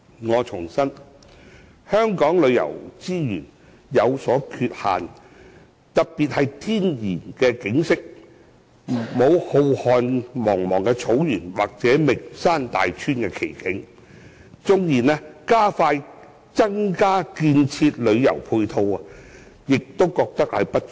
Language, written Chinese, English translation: Cantonese, 我重申，香港旅遊資源有所缺限，特別是天然景色方面，我們並無浩瀚茫茫的草原或名山大川的奇景，縱然加快增建旅遊配套，但仍覺不足。, I reiterate that the tourism resources in Hong Kong are in shortage especially in terms of natural scenery . We do not have great scenery of vast grasslands or famous mountains and rivers . Resources are not enough even if we manage to expedite the construction of additional tourism facilities